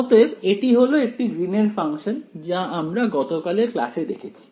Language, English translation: Bengali, So, this is the Green’s function that we had from yesterday’s class right